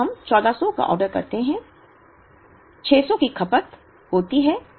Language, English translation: Hindi, So, we order 1400, 600 is consumed here